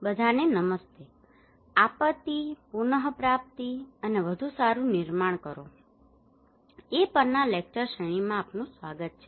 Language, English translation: Gujarati, Hello everyone, Welcome to the lecture series on Disaster recovery and build back better